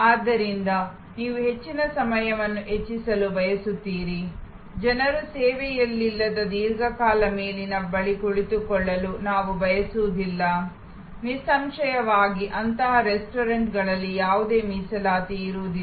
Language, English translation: Kannada, So, you want to maximize the turnaround time, we do not want people to sit at a table for long time without consumption; obviously, in such restaurants, there will be no reservation